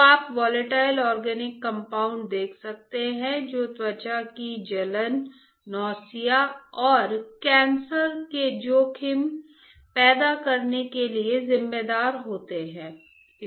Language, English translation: Hindi, So, you can see that volatile organic compounds in particular are responsible for causing skin irritation are responsible for causing nausea and are responsible for causing cancer risks